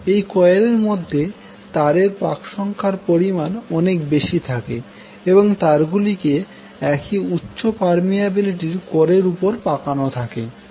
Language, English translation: Bengali, So it consists of two or more coils with a large number of turns wound on a common core of high permeability